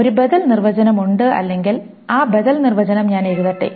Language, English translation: Malayalam, There is an alternative definition or, let me write down that alternative definition